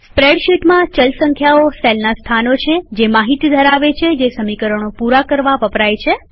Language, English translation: Gujarati, In a spreadsheet, the variables are cell locations that hold the data needed for the equation to be completed